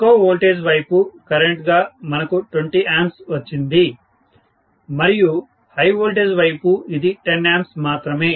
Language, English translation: Telugu, We got 20 amperes as the current on the low voltage side and on the high voltage side it was only 10 amperes